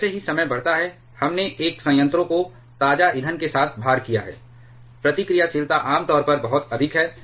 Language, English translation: Hindi, As time goes on once we have loaded a reactor with fresh fuel, the reactivity generally is very high